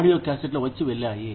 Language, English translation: Telugu, Audiocassettes came and went